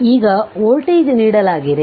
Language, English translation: Kannada, Now, this voltage is given